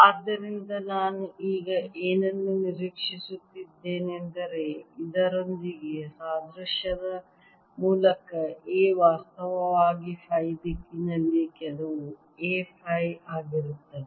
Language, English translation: Kannada, so what i anticipate now this implies, by analogy with this, that a would actually be some a phi in the phi direction